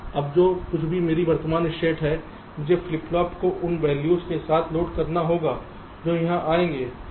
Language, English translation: Hindi, ok, now, whatever is my present state, i will have to load the flip flops with those values that will come here right